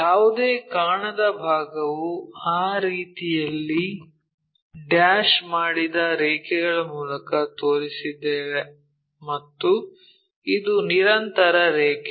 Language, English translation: Kannada, Any invisible side we showed them by dashed lines in that way and this is a continuous line